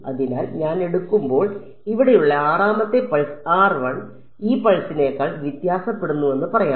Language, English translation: Malayalam, So, when I take let us say the 6th pulse over here r prime varies over this pulse